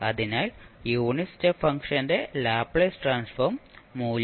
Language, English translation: Malayalam, So, for the unit step function the value of Laplace transform is given by 1 by s